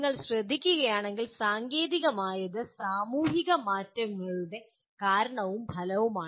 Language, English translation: Malayalam, If you note, technology is both cause and effect of societal changes